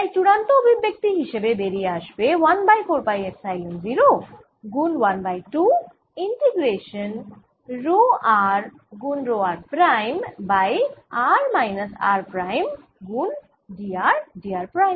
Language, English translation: Bengali, so if final expression for the energy than comes out to be one over four pi epsilon zero, one half integration row are row r prime over r minus r prime, d r d r prime